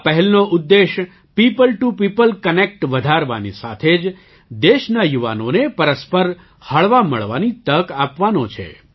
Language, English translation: Gujarati, The objective of this initiative is to increase People to People Connect as well as to give an opportunity to the youth of the country to mingle with each other